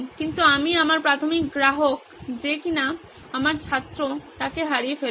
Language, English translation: Bengali, but I lose out on my primary customer who is my student